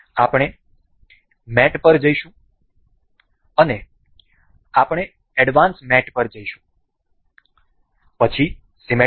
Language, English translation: Gujarati, We will go to mate and we will go to advanced mate, then symmetric